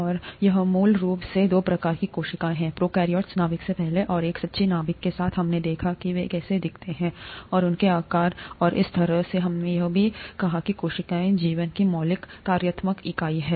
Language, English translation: Hindi, And basically, there are two types of cells, prokaryotes, before nucleus, and the ones with a true nucleus, we saw how they looked, and their sizes and so on and we also said that cell is the fundamental functional unit of life